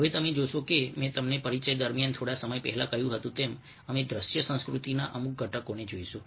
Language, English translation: Gujarati, now you see that, ah, as i told you little earlier during the introduction, we will be looking at certain elements of visual culture